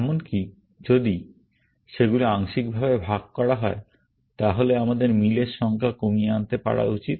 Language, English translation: Bengali, That even, if they are shared partially, we should be able to minimize the number of matches that we do